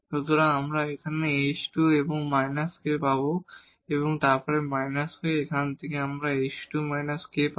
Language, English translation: Bengali, So, here we will get h square and minus k and then minus k from here we will get h square minus k